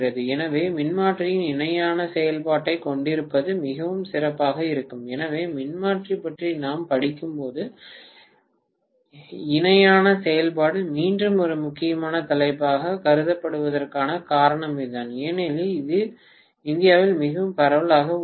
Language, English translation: Tamil, So, it will be much better to have parallel operation of transformer, so that is the reason why parallel operation is again considered as one of the important topics when we study about transformer because it is very much prevalent in India